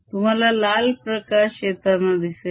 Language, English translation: Marathi, you see the red light coming